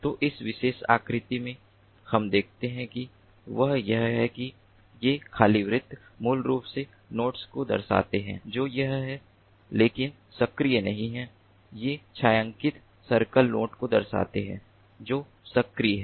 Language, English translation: Hindi, so in this particular figure, what we see is that these empty circles basically denoting the nodes which are there, but an not active, and these shaded circles denoting the nodes which are active